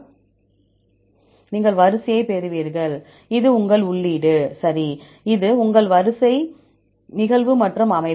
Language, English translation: Tamil, You will get the sequence, this is your input, okay here this is your sequence occurrence as well as the composition